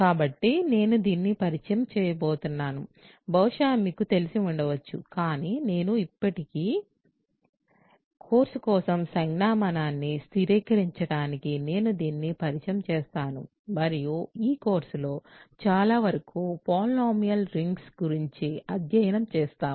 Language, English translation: Telugu, So, I am going to introduce this is something that maybe you are familiar with, but still I will, just to get the notation fixed for the course, I will introduce this and lot of this course will be study of polynomial rings